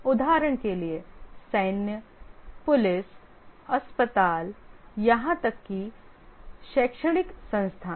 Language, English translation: Hindi, For example, military, police, hospitals, even educational institutes